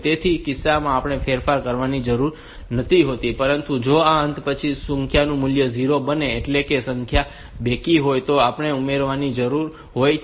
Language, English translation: Gujarati, So, in that case we do not need to edit, but if the number is after this ending if the value becomes 0; that means, the number is even